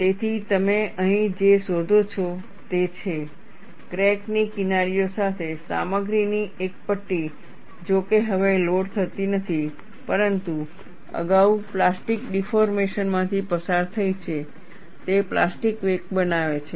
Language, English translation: Gujarati, So, what you find here is, a strip of material along the crack edges, though no longer loaded, but has undergone plastic deformation previously, constitutes the plastic wake